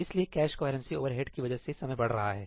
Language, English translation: Hindi, So, that cache coherency overhead is causing the increase in time